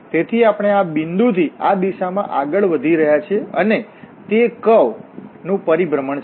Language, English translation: Gujarati, So we are moving from this point in this direction and that is the orientation of the curve